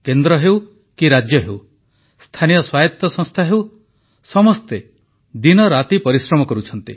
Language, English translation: Odia, From the centre, states, to local governance bodies, everybody is toiling around the clock